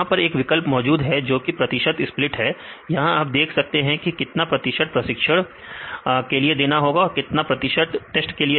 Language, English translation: Hindi, Then also there is another option called percentage split; here you can see how many how much percentage you want to use for training and for the test